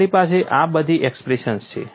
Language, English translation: Gujarati, We have all these expressions